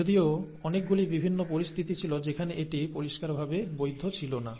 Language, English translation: Bengali, Although, there were many different situations where this clearly was not valid, okay